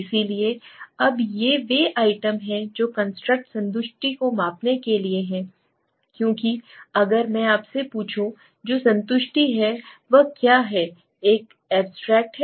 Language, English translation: Hindi, So now these are the items that are there to measure the construct satisfaction because if I ask you what is satisfaction it is an abstract term